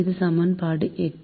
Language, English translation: Tamil, this is equation eight